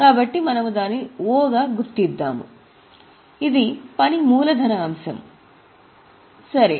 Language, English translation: Telugu, So, we will mark it as O, particularly it is a working capital item